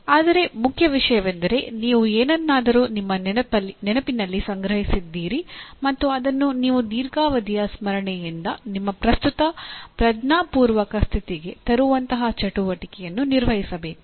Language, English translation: Kannada, But the main thing is you have stored something in the memory and you have to perform an activity that will involve in bringing from a long term memory to your present conscious state